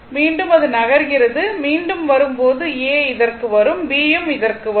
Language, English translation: Tamil, So, again it is moving, again will come when A will come to this and B will come to this